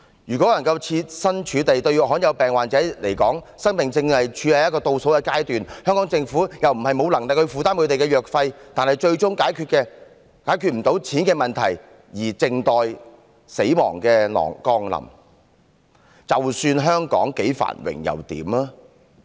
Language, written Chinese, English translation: Cantonese, 如果設身處地一想，對罕有病患者而言，生命正處於倒數階段，香港政府又不是沒有能力負擔他們的藥費，但是，他們最終卻因為解決不了錢的問題而靜待死亡降臨，那香港再繁榮又如何？, If we put ourselves in their place we will see that rare disease patients are counting down their remaining days . While it is not beyond the Governments capacity to shoulder the drug expenses of these patients they have to wait for death ultimately because they cannot resolve the money issue . From this perspective does growing prosperity mean anything to Hong Kong at all?